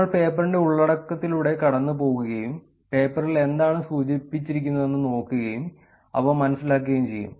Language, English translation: Malayalam, We will go through the paper content and look at what is mentioned in the paper and go through them